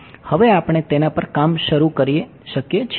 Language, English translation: Gujarati, Now we can start now we can start working in it